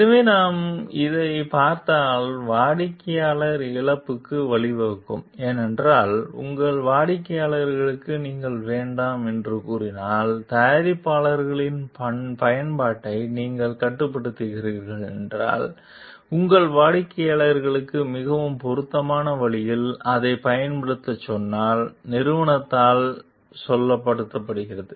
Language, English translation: Tamil, So, if we see like this may lead to maybe customer loss also because, if you are saying no to your customers and if you are restricting their use of the products and if you are telling your customers to use it in the most appropriate way, as it is told by the company